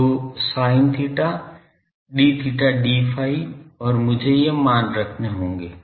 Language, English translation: Hindi, So, sin theta d theta d phi and I will have to put these value things